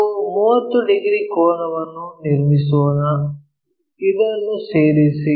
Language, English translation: Kannada, So, let us construct the angle 30 degrees thing so join this